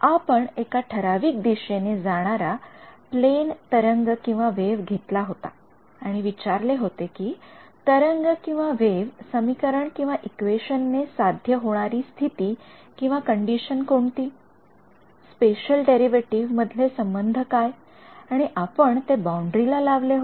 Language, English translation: Marathi, We had taken we are taken up plane wave traveling in a certain direction and we had asked what is the condition satisfied by this wave equation, what was the relation between special derivatives and we had imposed that at the boundary